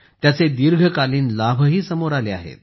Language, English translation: Marathi, Its long term benefits have also come to the fore